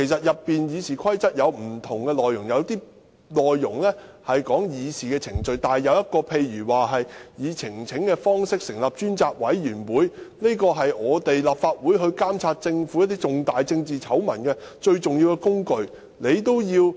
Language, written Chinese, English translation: Cantonese, 《議事規則》有不同條文，有些條文是關於議事程序，但有些條文關乎例如以提交呈請書的方式成立專責委員會，這是立法會監察政府重大政治醜聞的最重要工具。, There are many provisions under RoP some are related to procedural matters and some are concerned with inter alia the presentation of petitions for appointing a select committee which is the most important tool of the Legislative Council in monitoring major political scandal of the Government